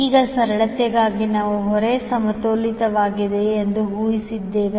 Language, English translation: Kannada, Now for simplicity we have assumed that the load is balanced